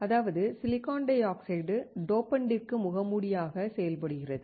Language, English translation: Tamil, That means, silicon dioxide acts as a mask for the dopant